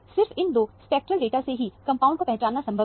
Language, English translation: Hindi, Only with these 2 spectral data, it was possible to identify the compound